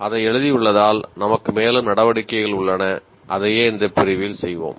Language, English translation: Tamil, Having written that we have further activities to do and that is what we will do in this unit